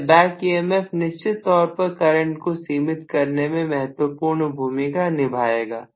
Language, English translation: Hindi, Now, this back emf will definitely play a role in limiting the current